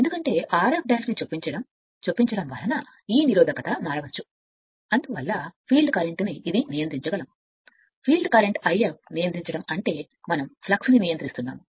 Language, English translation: Telugu, Because if by inserting R f dash right this resistance you can vary hence you can hence you can control the field current this I f, field current controlling means we are controlling the flux right